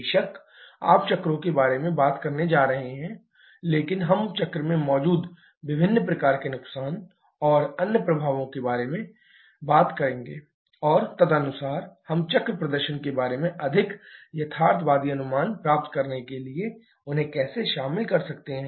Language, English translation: Hindi, Of course, you are going to talk about the cycles, but we shall be talking more about the different kind of losses and other effects that can be present in the cycle and accordingly how we can incorporate them to get a more realistic estimation about the cycle performance